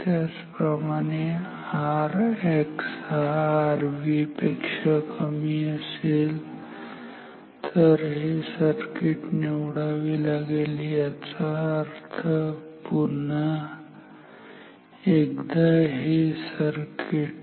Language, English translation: Marathi, Similarly if I have R X much less than R V then choose this circuit this means a once again this circuit